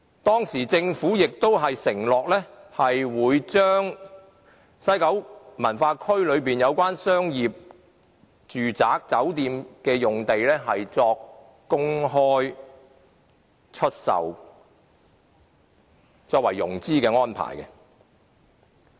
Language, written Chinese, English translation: Cantonese, 當時，政府亦承諾會公開出售西九文化區內有關商業、住宅和酒店的用地，作為融資的安排。, The Government also undertook that the land sale proceeds from the disposal of the hotel office and residential sites in WKCD by public tender would serve as a financing arrangement